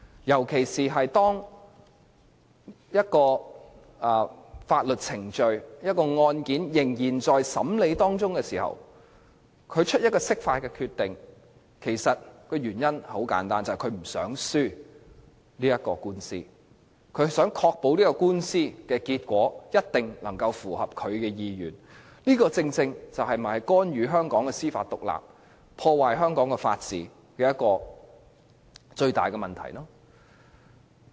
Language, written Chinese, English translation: Cantonese, 如果釋法的決定是在法律程序仍在進行或案件仍在審理期間作出的，原因十分簡單，就是不想輸掉官司，希望確保官司的結果能夠符合其意願，而這正是干預香港司法獨立、破壞香港法治的最大問題所在。, If the decision to seek an interpretation of the Basic Law is made during a legal proceeding or in the course of a trial the reason is simple enough the Government does not want to lose the case and hopes to ensure that the case will have the desired result . This is precisely where the biggest problem lies as this not only intervenes in Hong Kongs judicial independence but also damages our rule of law